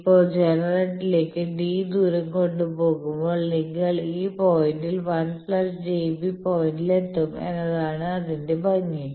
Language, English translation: Malayalam, Now, the beauty is when you will be transported by a distance d towards generator you will come to this point 1 plus j b point